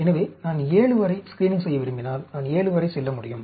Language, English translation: Tamil, So, if I want to do screening up to 7, then, I can go right up to 7